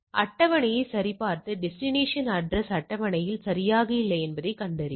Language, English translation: Tamil, It checks the table and find that the destination addresses not present in the table right